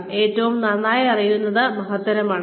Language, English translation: Malayalam, Knowing, what you know best, is great